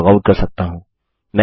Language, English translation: Hindi, I can log out